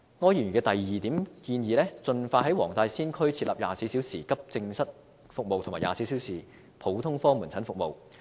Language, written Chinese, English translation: Cantonese, 柯議員的第二點建議是盡快在黃大仙區設立24小時急症室服務及24小時普通科門診服務。, Mr ORs proposal in item 2 is expeditiously introducing 24 - hour accident and emergency AE services and 24 - hour general outpatient services in the Wong Tai Sin District